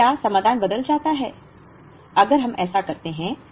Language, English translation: Hindi, Now, does the solution change, if we do that